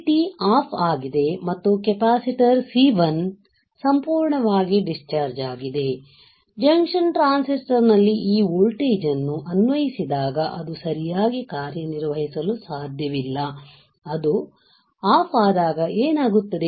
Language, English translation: Kannada, The uni junction transistor is off and the capacitor C1 is fully discharged, right, when you apply this voltage in junction transistor cannot operate, it cannot operate right and what will happen when it is off